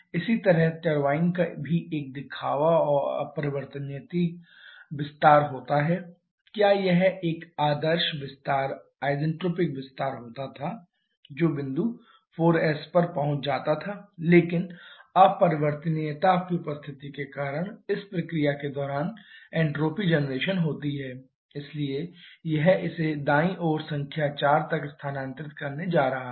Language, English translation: Hindi, Similarly the turbine also a have a showing and irreversible expansion had it been an ideal expansion isentropic expansion it would have reached point 4s but because of the presence of irreversibility there is entropy generation during this process so it is going to shift it towards right